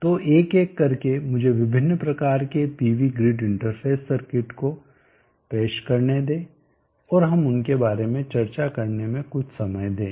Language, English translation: Hindi, So one by one let me introduce the different types of pv grid interface circuits and let us spend some time discussing that